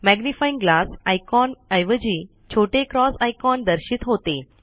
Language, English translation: Marathi, Instead of the Magnifying glass icon, a small cross icon is displayed